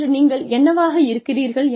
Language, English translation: Tamil, Who you are, today